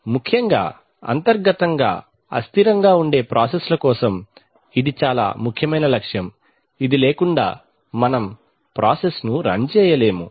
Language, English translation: Telugu, Especially for processes which are inherently unstable, this is a very important objective, without this we cannot run the process at all